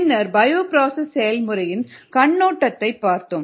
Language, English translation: Tamil, then we looked at the over view of the bio process